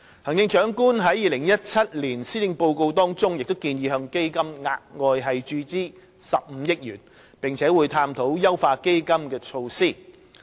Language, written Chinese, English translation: Cantonese, 行政長官在2017年施政報告中建議向基金額外注資15億元，並會探討優化基金的措施。, In the 2017 Policy Address the Chief Executive proposed to inject an additional 1.5 billion into CEF while undertaking to consider various measures to enhance CEF